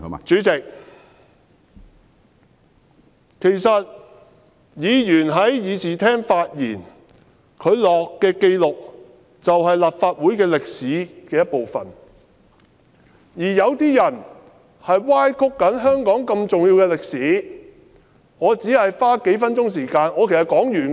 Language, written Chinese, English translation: Cantonese, 主席，其實議員在議事廳發言，所作的紀錄是立法會歷史的一部分，有些人正在歪曲香港如此重要的歷史，我只是花數分鐘時間......, Chairman the records of Members speeches in the Chamber are in fact part of the history of the Legislative Council . Some people are distorting such an important part of history of Hong Kong . I have only spent several minutes Chairman I will finish after saying a couple more words